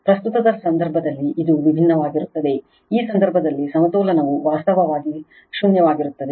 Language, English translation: Kannada, In the case of current, it is different in this case the balance is actually zero right